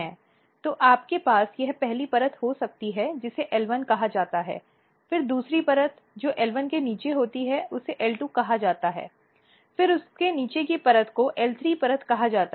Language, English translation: Hindi, So, you can have this is the first layer which is called L 1, then the second layer which is below the L 1 is called L 2 and then the layer beneath it is called L 3 layer